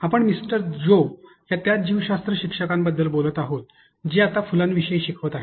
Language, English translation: Marathi, Joe, again the same biology teacher who teaches now who is teaching and about flowers